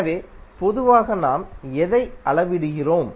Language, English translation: Tamil, So, what we measure in general